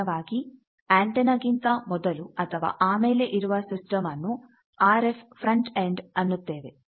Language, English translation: Kannada, Generally, before or after the antenna the system those are called RF frontend